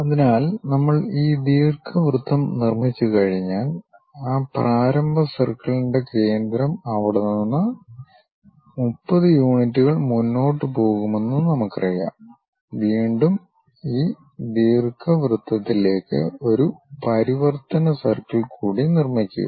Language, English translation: Malayalam, So, once we construct this ellipse what we have to do is, we know the center of that initial circle from there we go ahead by 30 units up, again construct one more transform circle into this elliptical thing